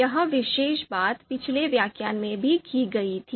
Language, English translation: Hindi, So this particular thing also we did in the previous lecture